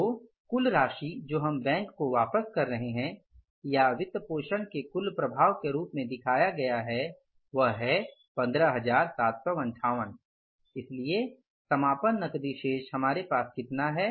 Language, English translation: Hindi, So, total amount which we are returning back to the bank as a total effect of financing we have shown or the returning the loan we have shown is the 15,758